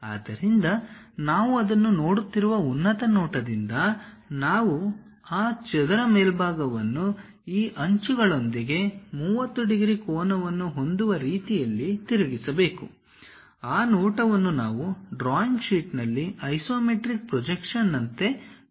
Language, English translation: Kannada, So, from top view we are looking at it, we have to rotate that square top face in such a way that it makes 30 degree angle with these edges; that view we have to present it on the drawing sheet as an isometric projection